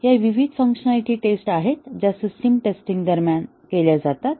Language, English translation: Marathi, So, these are the different functionality tests that are done during system testing